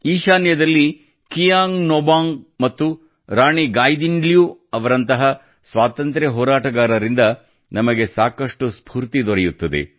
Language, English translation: Kannada, We also get a lot of inspiration from freedom fighters like Kiang Nobang and Rani Gaidinliu in the North East